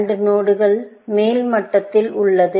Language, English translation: Tamil, The AND node is at top level